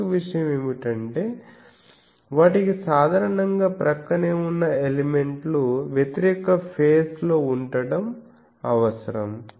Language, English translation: Telugu, So, very high another thing is they require generally that the adjacent elements they should be oppositely faced